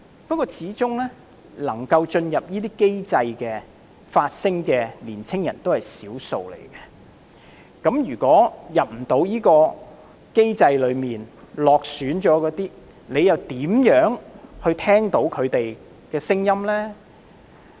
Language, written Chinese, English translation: Cantonese, 不過，始終能夠進入這些機制發聲的年青人只是少數，對於未能進入機制或落選的人，你又如何聆聽他們的聲音呢？, Yet given the small number of young people being able to join such mechanisms to voice their opinions how will you listen to the voices of those who are unable to join such mechanisms or fail to make the cut?